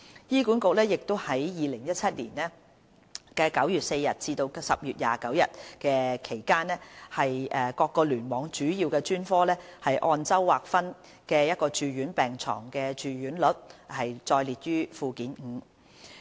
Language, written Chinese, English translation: Cantonese, 醫管局在2017年9月4日至10月29日期間各聯網主要專科按周劃分的住院病床住用率載列於附件五。, The weekly inpatient bed occupancy rates of the major specialties under each cluster from 4 September to 29 October 2017 are set out at Annex 5